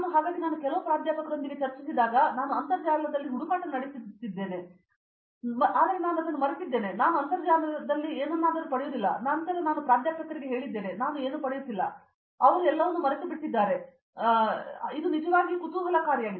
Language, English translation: Kannada, So, whenever we had discussion with some professor I used to search in internet I forgot that one, but I never get anything in internet then I told to that professor sir what is this I am not getting then he said forget everything, you use your brain like that, it’s very interesting actually